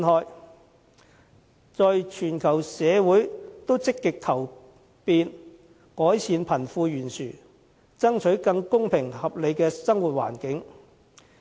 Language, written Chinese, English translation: Cantonese, 現時，全球社會都積極求變，改善貧富懸殊，爭取更公平合理的生活環境。, These days societies all over the world are actively seeking changes and alleviation of the wealth gap striving to build a fairer and more reasonable living environment